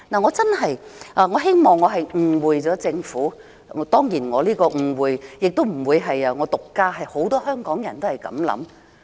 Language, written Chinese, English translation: Cantonese, 我真的希望我誤會了政府，當然誤會的不單是我，很多香港人也是這樣想。, I really hope that I have mistaken the Governments intention and if so of course I am not the only person mistaking its intention for many Hongkongers hold this view too